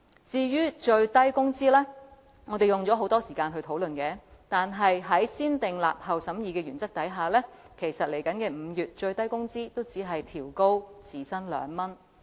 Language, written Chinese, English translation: Cantonese, 至於我們用了很多時間討論的最低工資，在"先訂立後審議"的原則下，在即將來臨的5月，最低工資也只會調高2元時薪。, As for the minimum wage which we have spent much time discussing it under the principle of negative vetting the minimum wage rate will be increased by 2 per hour in the coming May